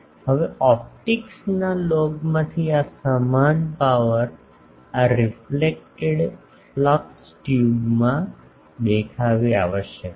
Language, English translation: Gujarati, Now, this same power from the log of optics the same power must appear in the reflected flux tube